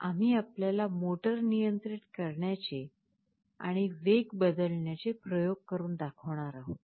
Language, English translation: Marathi, We shall be showing you a couple of experiments on the controlling of the motor and how the speed can be varied